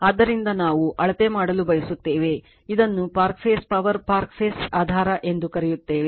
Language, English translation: Kannada, So, we want to measure your what you call the park phase power park phase basis right